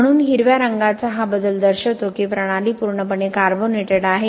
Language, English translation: Marathi, So this color change of green represents that system is completely carbonated